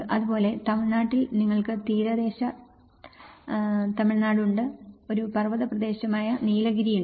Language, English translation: Malayalam, Similarly, in Tamil Nadu you have the coastal Tamil Nadu; you have the Nilgiris, as a mountainous place